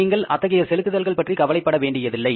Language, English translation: Tamil, You need not to worry for those payments